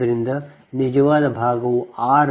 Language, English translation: Kannada, so real part is r right